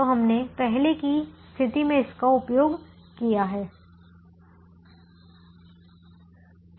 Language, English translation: Hindi, so we have used this in ah in an earlier situation